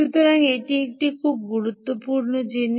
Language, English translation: Bengali, so this is a very important thing